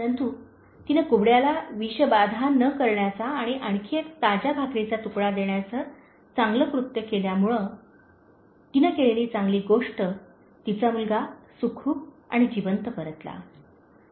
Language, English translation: Marathi, But since she did the good thing of not poisoning and giving another fresh bread piece to the Hunchback, the good thing that she did, her son came back safely and alive